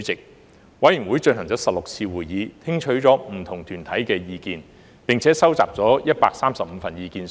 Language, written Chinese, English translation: Cantonese, 法案委員會進行了16次會議，聽取了不同團體的意見，並收集了135份意見書。, The Bills Committee held 16 meetings received the views of different deputations and collected 135 submissions